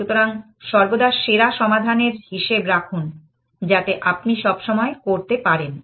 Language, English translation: Bengali, So, always keep track of the best solution, so that you can always do